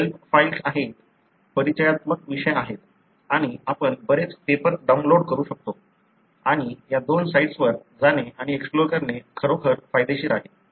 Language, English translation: Marathi, There are help files, there are introductory topics and we can download many of the papers and it is really worth going and exploring in these two sites